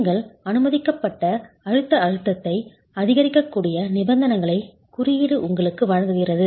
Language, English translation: Tamil, The code gives you the conditions under which you can increase the permissible compressive stress